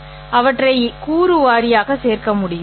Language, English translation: Tamil, I can add them component wise